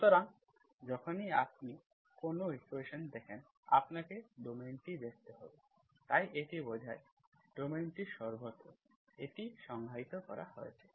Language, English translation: Bengali, So whenever you see in a equation, you have to see domain, so this implies, domain is everywhere it is defined